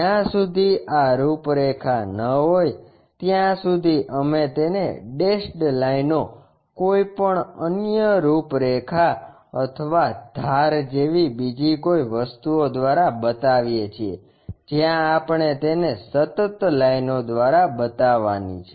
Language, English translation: Gujarati, Unless these are outlines we show them by dash lines, any out lines or the edge kind of things we have to show it by continuous lines